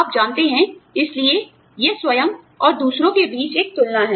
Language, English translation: Hindi, You know, so it is a comparison, between self and the other